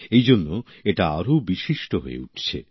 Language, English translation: Bengali, That is why this day becomes all the more special